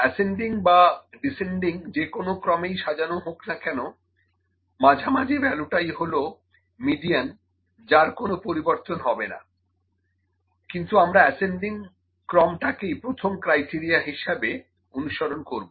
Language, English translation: Bengali, It is arranged in ascending order, it may be arranged in descending order as well because, the median got the middle value should not change, but ascending order is the first criteria that we follow